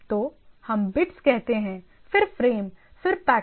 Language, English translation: Hindi, So, what we say bits then the frames then the packets